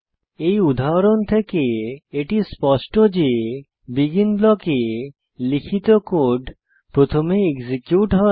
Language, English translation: Bengali, From this example, it is evident that: The code written inside the BEGIN blocks gets executed first